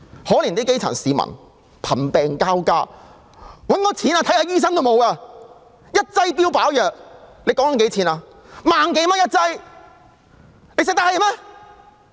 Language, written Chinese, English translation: Cantonese, 可憐基層市民，貧病交加，沒有錢求醫，萬多元一劑的標靶藥，他們負擔得起嗎？, It is a pity that the poor grass - roots people suffering from both poverty and illnesses have no money to pay for medical treatment . One single dose of target therapy drug may cost 10,000 or so can they afford it?